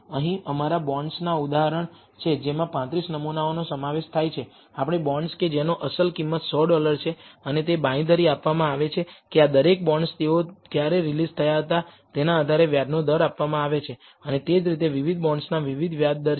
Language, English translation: Gujarati, Here is us bonds example which consists of 35 samples, us bonds whose face value is 100 dollars, and it is a guaranteed interest rate is provided for each of these bonds depending on when they were released and so on, and that are different bonds with different interest rates